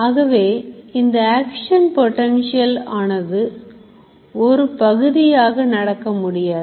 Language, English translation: Tamil, So, action potential cannot happen partially